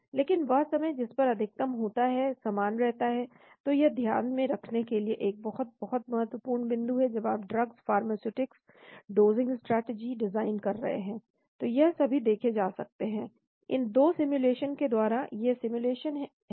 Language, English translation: Hindi, But a time at which the maximum happens remains same , so this is a very, very important point to keep in mind, when you are designing drugs, pharmaceutics, dosing strategies all these can be looked at from these 2 simulations, these are simulations